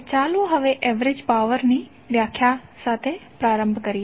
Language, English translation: Gujarati, So now let’s start with the average power definition